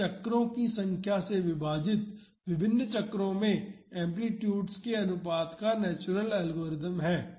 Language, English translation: Hindi, It is the natural logarithm of the ratio of amplitudes at different cycles divided by the number of cycles